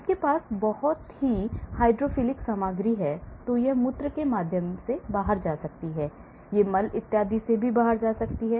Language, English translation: Hindi, So, you have a very hydrophilic material, it may go through the urine, hydrophobic; it may go through the faecal and so on